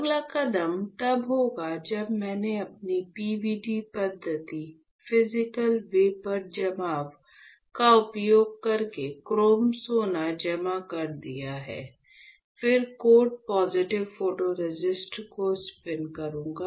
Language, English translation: Hindi, So, the next step would be, after I have deposited chrome gold using my PVD method, Physical Vapor Deposition; the next step is I will spin coat positive photoresist alright